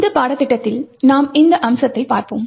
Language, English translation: Tamil, In this course we will be looking at this particular aspect